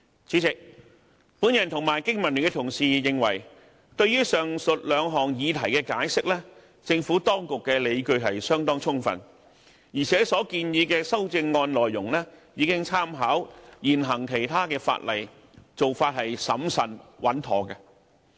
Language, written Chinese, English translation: Cantonese, 主席，我和經民聯的同事認為對於上述兩項議題的解釋，政府當局的理據相當充分，而且所建議的修正案內容已參考其他現行法例，做法審慎穩妥。, President I and Members of the Business and Professionals Alliance for Hong Kong BPA consider the explanations given by the Administration for the two issues mentioned above justified . In addition the Administration has taken reference of the other existing legislation in formulating CSAs . We consider its approach prudent and appropriate